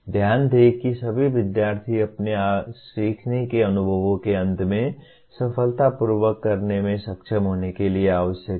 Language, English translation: Hindi, Note the focus is on essential for all students to be able to do successfully at the end of their learning experiences